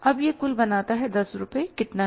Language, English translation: Hindi, Now this makes the total is how much is 10 rupees